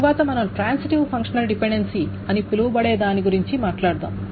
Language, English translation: Telugu, Then we will talk about something called a transitive functional dependency